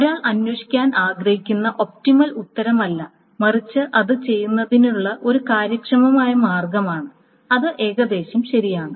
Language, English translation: Malayalam, It is not the optimal answer that one wants to look for, but it is an efficient way of doing it